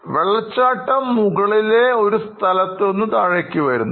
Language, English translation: Malayalam, The waterfalls that you saw just now, came from a source on the top